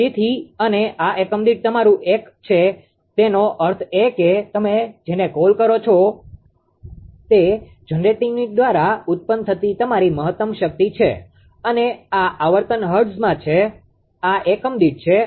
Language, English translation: Gujarati, So, and this is your one one per unit means that you are what you call that is your maximum ah your power generated by the generating unit and this frequency is in hertz, this is in per unit